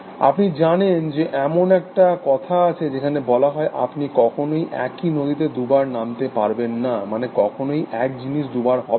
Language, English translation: Bengali, saying which says that, you can never step into the same river twice, essentially, that is never the same thing